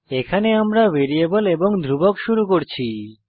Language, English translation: Bengali, Now we will move on to variables